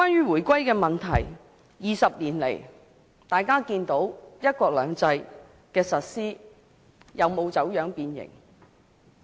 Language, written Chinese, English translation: Cantonese, 回歸20年，相信大家都能看見"一國兩制"的實施有否走樣變形。, It has been 20 years since the reunification . I trust everyone can see whether the implementation of one country two systems has been distorted or deformed